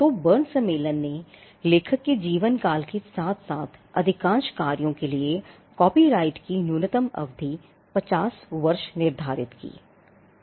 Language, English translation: Hindi, So, the Berne convention fixed the minimum duration of copyright for most works as life of the author plus 50 years